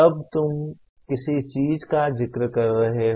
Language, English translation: Hindi, Then you are inferring something